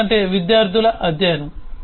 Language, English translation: Telugu, because student study